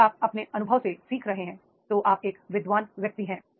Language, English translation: Hindi, If you are learning from your experience, we are the learned person